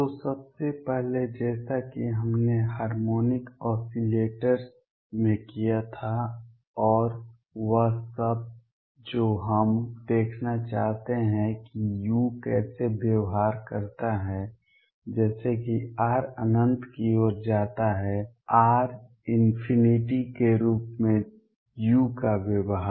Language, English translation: Hindi, So, first thing as we did in harmonic oscillators and all that we wish to see how u behaves as r tends to infinity; behaviour of u as r tends to infinity